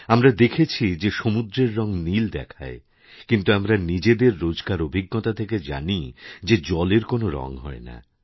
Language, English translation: Bengali, All of us have seen that the sea appears blue, but we know from routine life experiences that water has no colour at all